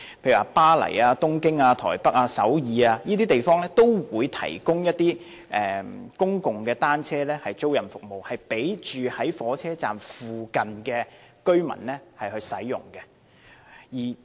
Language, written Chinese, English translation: Cantonese, 例如巴黎、東京、台北、首爾等地方，均提供公共單車租賃服務，供住在火車站附近的居民使用。, For example public bicycle rental services are available to people living near train stations in Paris Tokyo Taipei and Seoul